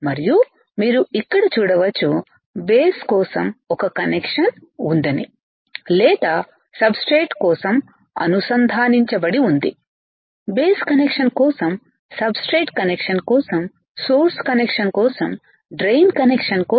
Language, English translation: Telugu, And you can see here there is a connection for the base or is connected for the substrate, connection for the base connection for the substrate connection for source connection for drain